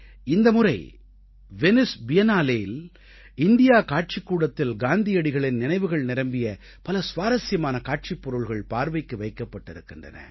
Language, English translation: Tamil, This time, in the India Pavilion at the Venice Biennale', a very interesting exhibition based on memories of Gandhiji was organized